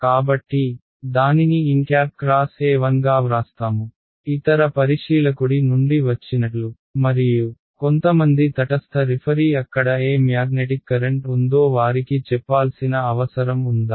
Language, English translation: Telugu, So, he will write n cross E 1 this has come from the other observer and some neutral referees required to tell them what is the is there any magnetic current over there